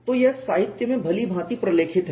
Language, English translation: Hindi, So, it is well documented in the literature